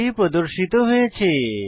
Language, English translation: Bengali, 30 is displayed